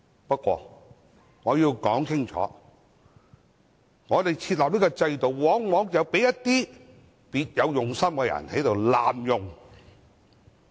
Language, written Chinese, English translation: Cantonese, 不過，我要說清楚，我們設立這項制度，往往被一些別有用心的人濫用。, However I have to point out clearly that this system put in place by us has often been abused by some people with ulterior motives